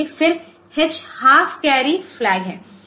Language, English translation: Hindi, Then H is the half carry flag